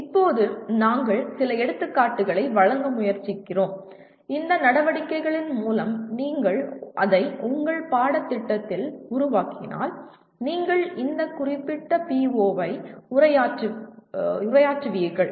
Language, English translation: Tamil, Now we are trying to give some examples where through these activities if you build it into your course, you will be addressing this particular PO